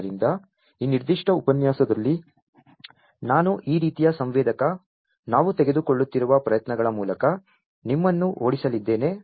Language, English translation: Kannada, So, in this particular lecture I am going to run you through this kind of sensor, the efforts that we are taking